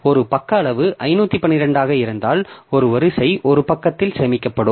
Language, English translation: Tamil, So, if a page size is 512, then 1 row will be stored in one page